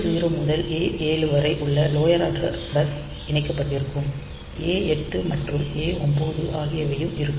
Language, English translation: Tamil, So, this lower address bus that A0 to A7 they should be have connected and this A8 and A9